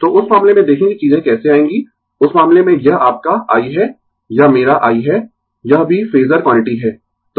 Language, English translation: Hindi, So, in that case look how things will come, in that case your this is y i, this is my i, this is also phasor quantity